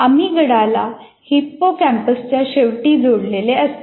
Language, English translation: Marathi, Emigdala is attached to the end of hippocampus